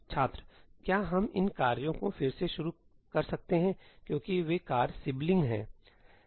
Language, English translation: Hindi, Can we reorder these tasks because they are sibling tasks